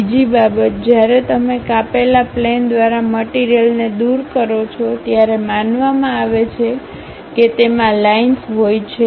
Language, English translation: Gujarati, Second thing, when you remove the material through cut plane is supposed to have hatched lines